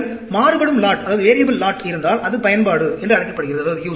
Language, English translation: Tamil, When you have the variable lot, that is called the use